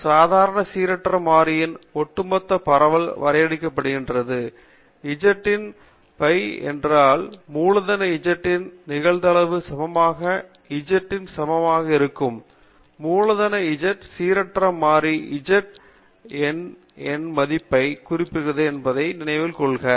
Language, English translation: Tamil, The cumulative distribution of a standard normal random variable is defined as pi of z is equal to the probability of capital Z less than or equal to z; remember that capital Z represents the random variable z and z is any numerical value